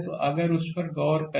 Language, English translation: Hindi, So, if you look into that right